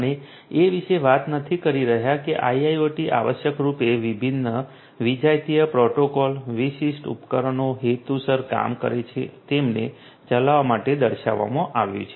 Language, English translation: Gujarati, We are not talking about that IIoT essentially is featured to run different different heterogeneous protocols heterogeneous devices working intended and so on